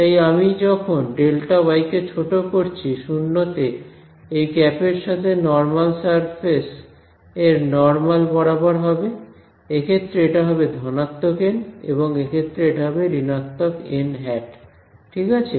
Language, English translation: Bengali, So, as I shrink this delta y down to 0 the normals to this to these caps will be along the normal to the surface itself right to the interface, in this case it will be plus n in this case it will be minus n hat right